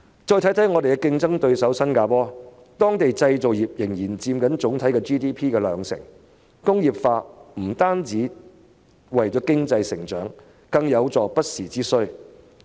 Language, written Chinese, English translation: Cantonese, 再看看本港的競爭對手新加坡，當地的製造業仍然佔 GDP 的兩成，工業化不單是為了經濟增長，更有助應付不時之需。, Let us take a look at Hong Kongs competitor Singapore . Its manufacturing industry still accounts for 20 % of its GDP . Apart from bringing about economic growth industrialization is also conducive to addressing unexpected needs